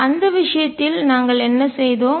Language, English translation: Tamil, What did we do in that case